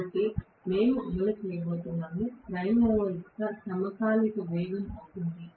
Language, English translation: Telugu, So, we are going to run, so the speed will be, speed of the prime mover will be synchronous speed